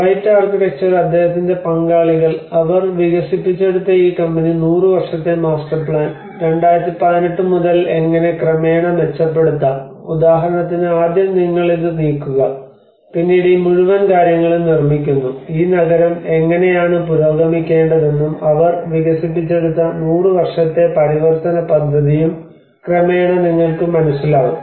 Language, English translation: Malayalam, So like there is a ‘white architects’ and his partners have won this company they developed about a 100 year master plan how from 2018 how it can be gradually improved like for instance first you move this and then later on this whole thing is built up you know so in that way gradually how this city has to be progressed and about a 100 year transition plan they have developed